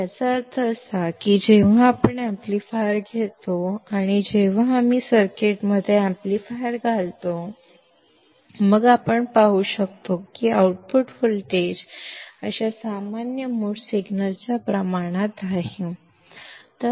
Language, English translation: Marathi, It means that when we take an amplifier and when we insert the amplifier in the circuit; then we can see that the output voltage is proportional to such common mode signal